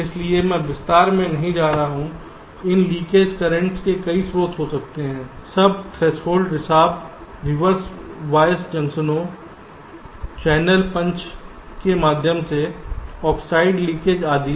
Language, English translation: Hindi, there can be several sources of these leakage currents: sub threshold leakage, reversed bias, junctions, channel punch through oxide leakage, etcetera